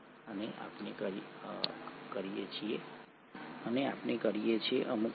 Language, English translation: Gujarati, And we do, to some extent